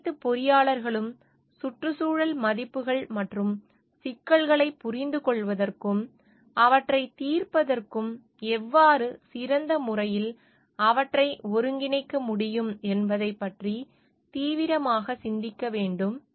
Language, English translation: Tamil, All engineers, all engineers should reflect seriously on environmental values and how they can best integrate them into understanding and solving problems